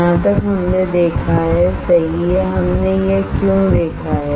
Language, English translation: Hindi, This much we have seen alright why we have seen this